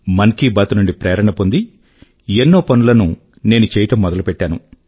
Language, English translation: Telugu, Taking a cue from Mann Ki Baat, I have embarked upon many initiatives